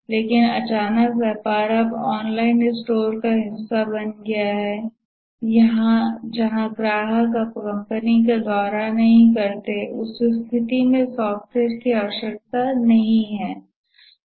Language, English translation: Hindi, But suddenly it became part of an online store where customers don't visit the company, the business anymore